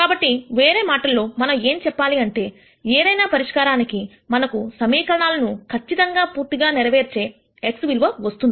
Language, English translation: Telugu, So, in other words what we are saying is whatever solution we get for x that has to necessarily satisfy this equation